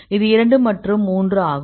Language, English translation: Tamil, 2 and this is a 12